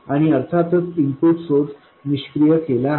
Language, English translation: Marathi, And the input source of course is deactivated